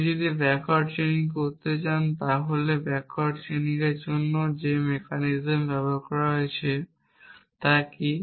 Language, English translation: Bengali, If I want to do backward chaining what is the mechanism that I have been used to do backward chaining